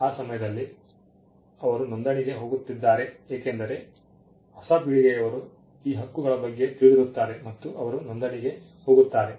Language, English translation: Kannada, At that point they are going for a registration, because the next generation at the new generation they are aware of these rights and they go in for a registration